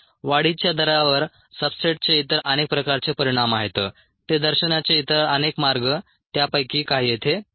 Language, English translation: Marathi, there are many other types of effects of substrate and growth rate, many other ways of representing them